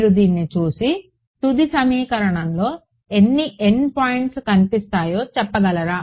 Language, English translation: Telugu, Can you look at this and say which all n points will appear in the final equation ok